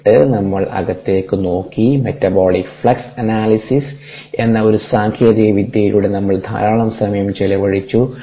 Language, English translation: Malayalam, we spent a lot of time looking inside through one technique called metabolic flex analysis and we saw how it could